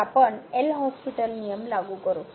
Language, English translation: Marathi, So, we will apply the L’Hospital rule